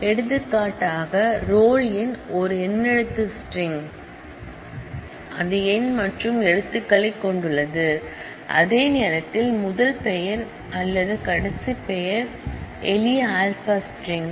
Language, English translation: Tamil, For example, the roll number is an alphanumeric string, as you can see, it has numeric as well as it has letters whereas, the first name or the last name are simple alpha strings